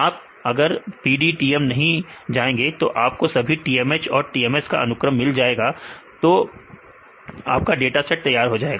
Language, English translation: Hindi, Now if you go to PDBTM we will get the all the sequences of transmembrane helical proteins and TMS proteins right that is fine dataset is done